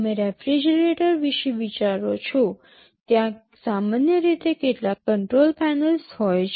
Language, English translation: Gujarati, You think of a refrigerator there normally there are some control panels